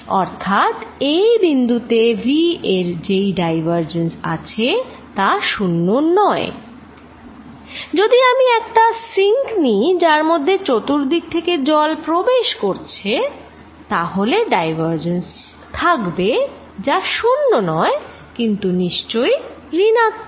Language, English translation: Bengali, So, this point has divergence of v not zero, if I take a sink in which water is going into it form all around, then again divergence is not zero, but highly negative